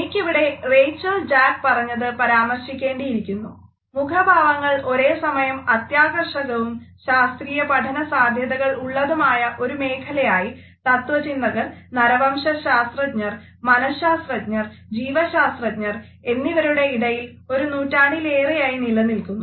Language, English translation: Malayalam, I would like to quote Rachael Jack here, who has commented that “facial expressions have been the source of fascination as well as empirical investigation amongst philosophers, anthropologist, psychologist and biologist for over a century”